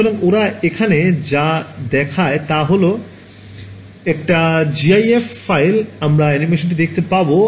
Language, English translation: Bengali, So, what they are showing over here is a gif file we will see the animation